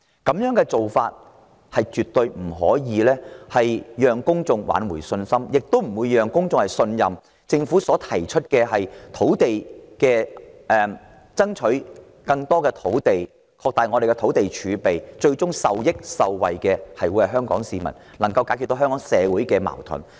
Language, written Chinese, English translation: Cantonese, 這種做法絕不能挽回公眾的信心，亦無法取信於公眾，令他們相信政府爭取更多土地、擴大土地儲備的方案，最終能令香港市民受益受惠，能解決香港社會的矛盾。, Such an approach will not help restore public confidence and their trust in the Government nor will it convince them that the government proposals for developing more land and expanding our land reserves will ultimately benefit the Hong Kong public and resolve the social conflicts of Hong Kong